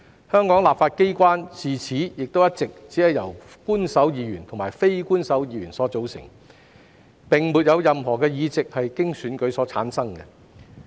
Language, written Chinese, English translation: Cantonese, 香港立法機關自此亦一直只由官守議員和非官守議員所組成，並沒有任何議席是經選舉產生。, Since then the legislature of Hong Kong had been composed of Official and Unofficial Members only and there were not any elected Members